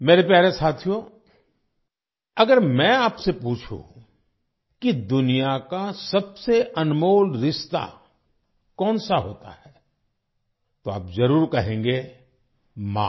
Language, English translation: Hindi, My dear friends, if I ask you what the most precious relationship in the world is, you will certainly say – “Maa”, Mother